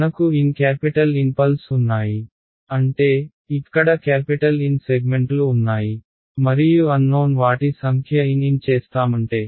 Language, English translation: Telugu, What I have N capital N pulses right; that means, there are capital N segments over here and my number of unknowns are N N